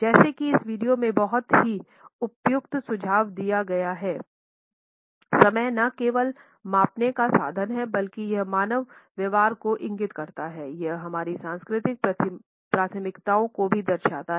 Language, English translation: Hindi, As this video very aptly suggest, time is not only a measuring instrument, it also indicates human behavior; it also indicates our cultural preferences